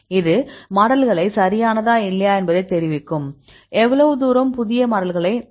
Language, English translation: Tamil, This will tell you whether your model is correct or not; how far you can rely your new model